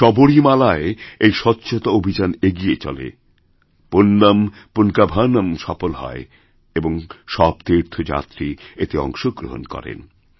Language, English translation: Bengali, This cleanliness drive in Sabrimala and the contribution of Punyan Poonkavanam in this are so immense that each devotee contributes and participates in it